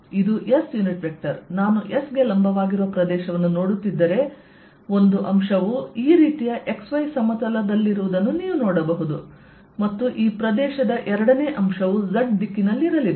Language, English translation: Kannada, if i am looking at area perpendicular to s, you can see one element is going to be in the x y plane, like this, and the second element of this area is going to be in the z direction